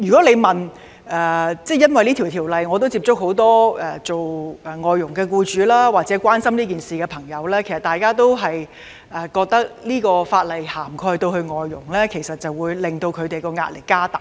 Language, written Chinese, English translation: Cantonese, 由於這次修例，我曾接觸很多外傭僱主或關心此事的朋友，他們都認為若這項法例涵蓋外傭，會增加他們的壓力。, Because of the present legislative amendment exercise I have made contact with many FDH employers or those concerned about this matter . They all opine that the inclusion of FDHs under the proposed bill will impose additional pressure on them